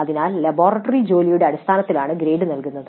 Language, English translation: Malayalam, So the grade is awarded based only on the laboratory work